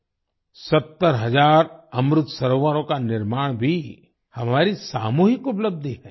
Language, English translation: Hindi, Construction of 70 thousand Amrit Sarovars is also our collective achievement